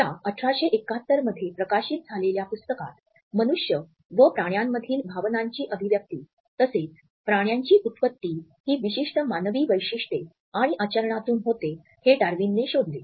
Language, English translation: Marathi, In this book the expression of the emotions in man and animals which was published in 1872, Darwin explored the animal origins of certain human characteristics and behaviors